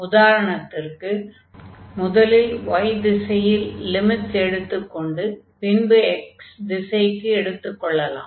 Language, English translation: Tamil, So, we can let us take now first in the direction of y, and then in the direction of x